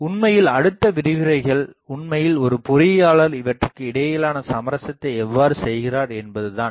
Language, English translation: Tamil, Actually, the next lectures will be actually how an engineer makes that compromise between these